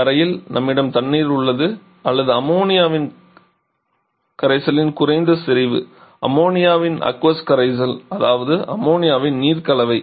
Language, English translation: Tamil, And in the chamber we have water or maybe a low concentration of solution of ammonia, aqua solution of ammonia that is ammonia water mixture